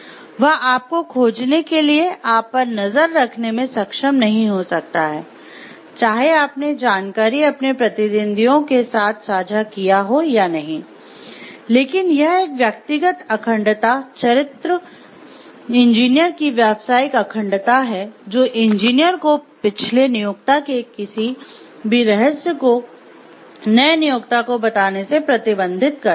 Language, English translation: Hindi, May not be able to monitor you to find; like whether you have actually shared the information with their competitors or not, but it is a personal integrity, the character, the professional integrity of the engineer which restricts the engineer from telling any secret of the past employer to the new employer